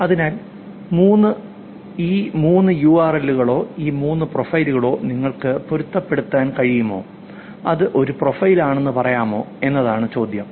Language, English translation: Malayalam, So the question is can you actually match all these three URLs or all these three profiles and say that it's the same profile